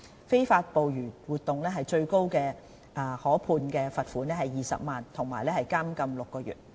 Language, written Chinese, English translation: Cantonese, 非法捕魚活動最高可判罰款20萬元及監禁6個月。, Any person engaging in illegal fishing activities is liable to a maximum fine of 200,000 and imprisonment for six months